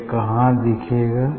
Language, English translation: Hindi, where we will see